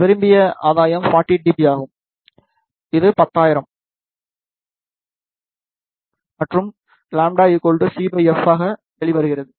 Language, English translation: Tamil, The desired gain is 40 dB, which comes out to be 10,000, and lambda is equal to c divided by f